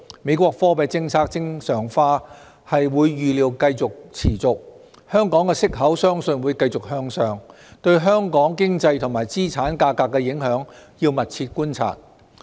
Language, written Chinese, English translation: Cantonese, 美國貨幣政策正常化預料會持續，香港息口相信會繼續向上，對香港經濟和資產價格的影響，要密切觀察。, Normalization of the American monetary policy is expected to continue . We believe Hong Kongs interest rates will continue to go upward . The impacts on Hong Kong economy and asset prices warrant close observation